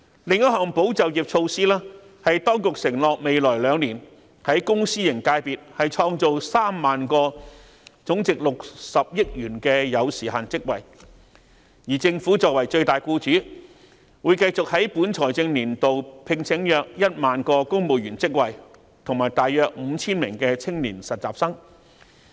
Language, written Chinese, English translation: Cantonese, 另一項保就業措施是當局承諾在未來兩年，在公私營界別創造3萬個總值60億元的有時限職位，而政府作為最大僱主，會繼續在本財政年度聘請約1萬個公務員職位及大約 5,000 名青年實習生。, As another measure to safeguard jobs the Administration has undertaken to create 30 000 time - limited jobs totalling 6 billion in the public and private sectors in the coming two years . As the largest employer the Government will continue to recruit around 10 000 civil servants and provide short - term internships to about 5 000 young people during this financial year